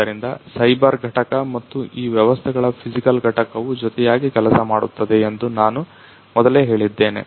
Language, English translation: Kannada, So, as I told you before that there is a cyber component and the physical component of these systems which work hand in hand